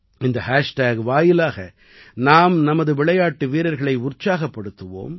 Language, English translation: Tamil, Through this hashtag, we have to cheer our players… keep encouraging them